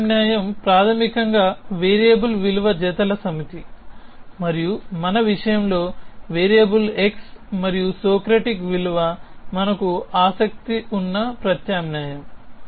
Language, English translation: Telugu, A substitution is basically a set of variable value pairs and in our case, the variable is x and the value that is Socratic that is the substitution we are interested in